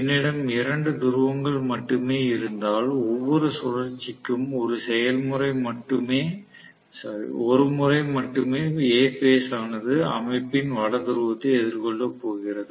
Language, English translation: Tamil, If I have only two poles I am going to have for every revolution only once A phase is going to face the no north pole of the system